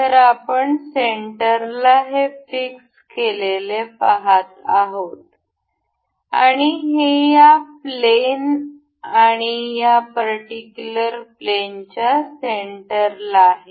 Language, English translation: Marathi, So, we can see this is fixed in the center and it is in the middle of this plane and this particular plane